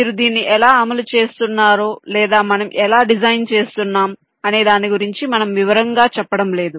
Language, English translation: Telugu, we are not going into detail as to how you are implementing it or how you are designing it